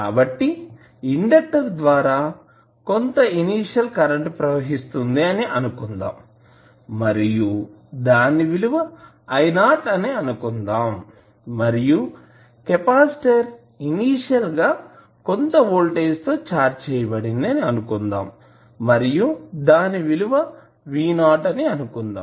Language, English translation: Telugu, So, we assume that there is some initial current flowing through the inductor and the value is I not and capacitor is initially charged with some voltage v not